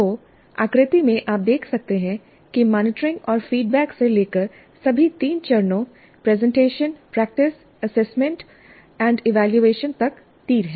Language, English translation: Hindi, So in the figure you can see that there are arrows from monitoring and feedback to all the three phases of presentation, practice, assessment and evaluation